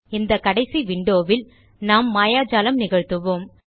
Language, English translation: Tamil, This final window is where we will do the magic